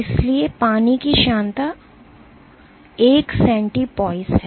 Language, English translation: Hindi, So, viscosity of water is 1 centipois ok